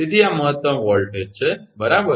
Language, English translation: Gujarati, So, this is the maximum voltage right